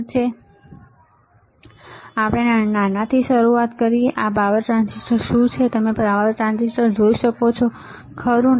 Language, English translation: Gujarati, So, let us start from the smaller one, this is the power transistor, can you see a power transistor, right